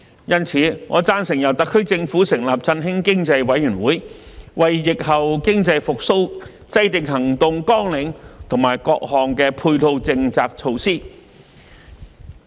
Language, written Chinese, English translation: Cantonese, 因此，我贊成由特區政府成立振興經濟委員會，為疫後經濟復蘇制訂行動綱領和各項配套政策措施。, Therefore I support the setting up of an Economic Stimulation Committee by the SAR Government to formulate action plans and complementary policy measures for post - epidemic economic recovery